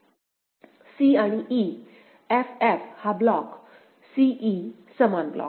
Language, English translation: Marathi, c and e f f this block, c e same block